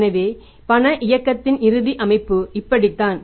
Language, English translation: Tamil, So, this is now the final structure of the cash movement